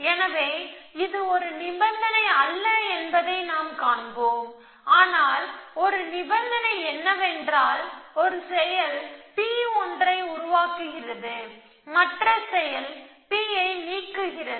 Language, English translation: Tamil, So, we will see this is not a condition for that, but one condition is that the one action is producing something P and the other action is deleting P